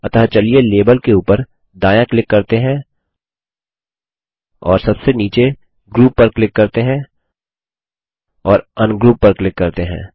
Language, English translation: Hindi, So let us right click over a label and click on Group at the bottom and click on Ungroup